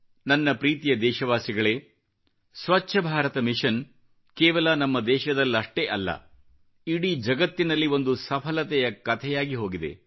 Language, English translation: Kannada, My dear countrymen, Swachh Bharat Mission or Clean India Mission has become a success story not only in our country but in the whole world and everyone is talking about this movement